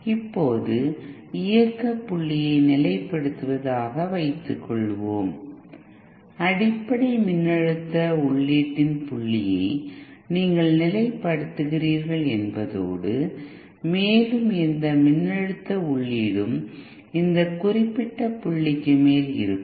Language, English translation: Tamil, Now setting the operating point means if you, it means you fix the point of the basic voltage input and any further voltage input would be over and above this particular point